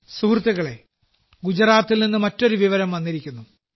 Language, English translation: Malayalam, Friends, another piece of information has come in from Gujarat itself